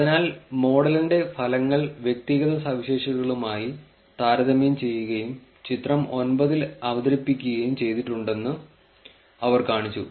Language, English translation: Malayalam, So, that is what they kind of showed that results of the model were compared with the individual features as well and are presented in figure 9